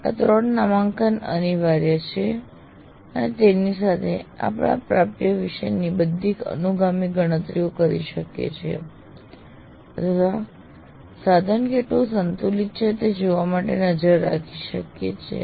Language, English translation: Gujarati, These three tags are compulsory and with that we can do all our subsequent calculation about attainments or keeping track to see the whether the how well the the instrument is balanced and so on